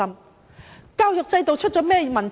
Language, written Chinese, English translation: Cantonese, 究竟教育制度出了甚麼問題？, What exactly has happened to our education system?